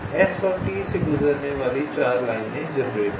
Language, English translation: Hindi, generate four lines passing through s and t